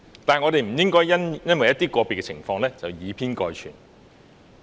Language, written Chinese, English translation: Cantonese, 但是，我們不應該因為一些個別情況而以偏概全。, However we should not take the part for the whole just because of some individual cases